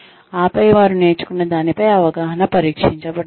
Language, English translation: Telugu, And then, there understanding of whatever they have learnt, is tested